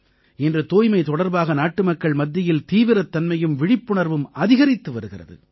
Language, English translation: Tamil, Today, the seriousness and awareness of the countrymen towards cleanliness is increasing